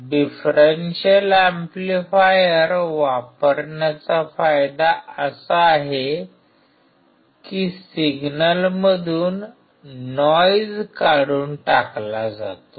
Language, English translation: Marathi, The advantage of using a differential amplifier is that the noise gets cancelled out